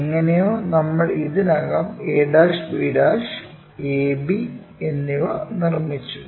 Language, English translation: Malayalam, Somehow, we have already constructed a' b' and AB